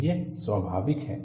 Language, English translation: Hindi, So, this is what is natural